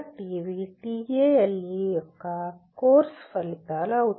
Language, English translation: Telugu, So these are the course outcomes of TALE